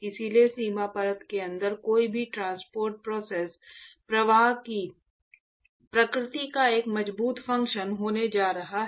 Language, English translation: Hindi, So, therefore, any transport process inside the boundary layer is going to be a strong function of the nature of the flow itself ok